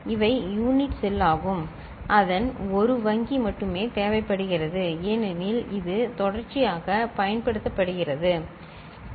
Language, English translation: Tamil, And these are the unit cell one bank of it is only required because it is sequentially used right